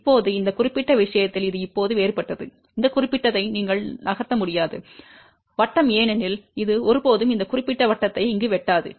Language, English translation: Tamil, Now, in this particular case it is different now, you cannot just move along this particular circle because it will never ever cut this particular circle here